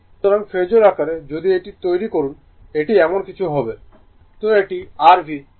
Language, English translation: Bengali, So, in the Phasor form if, you make it , it will be something like this